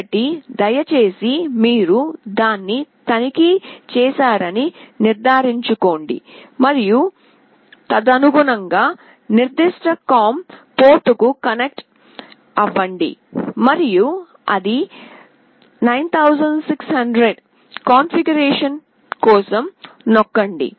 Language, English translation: Telugu, So, please make sure you check that and accordingly connect to that particular com port, and this is 9600 and press for the configuration